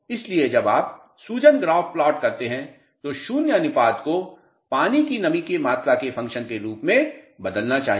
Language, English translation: Hindi, So, when you plot swelling graphs the void ratio should be changing as a function of moisture content